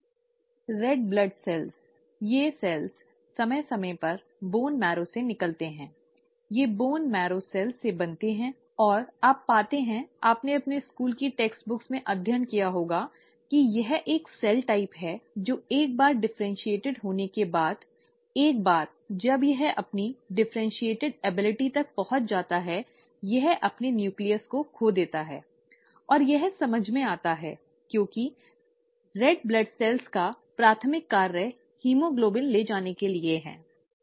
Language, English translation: Hindi, The red blood cells, these cells periodically come out of the bone marrow, they are formed from bone marrow cells and you find, you must have studied in your school textbooks that this is one cell type which once it has differentiated, once it has reached its differentiated ability, it loses its nucleus, and that makes sense because the primary function of the red blood cells is to carry haemoglobin